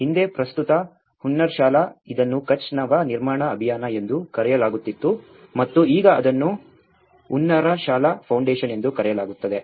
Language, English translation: Kannada, Earlier, the present Hunnarshala, itís called Kutch Nava Nirman Abhiyan and now it is called Hunnarshala Foundation